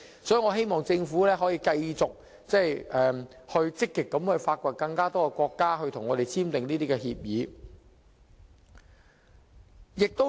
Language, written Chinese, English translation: Cantonese, 所以，我希望政府可以繼續積極與更多國家探討簽訂有關協議。, For this reason I hope the Government can sustain its active efforts of exploring the possibility of signing such agreements with more countries